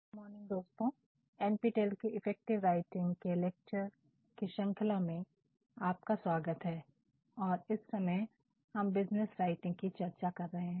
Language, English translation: Hindi, Good morning friends and welcome back to NPTEL online lectures on Effective Writing and presently, we are discussing Business Writing